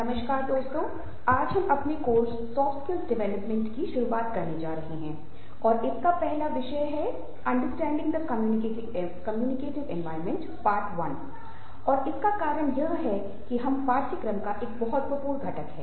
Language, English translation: Hindi, today we are starting with the first talk of our course, soft skills development, and which will be focusing on understanding the communicative environment, and reason for that is because this is a very, very important component of the course